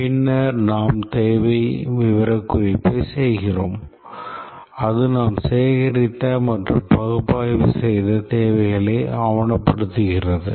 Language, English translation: Tamil, And then we do the requirement specification where we document the requirements that we have gathered and analyzed